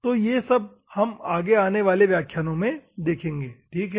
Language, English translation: Hindi, So, we will see in the upcoming classes, ok